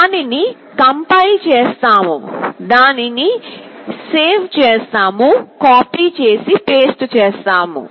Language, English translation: Telugu, We compile it, we save it, copy and paste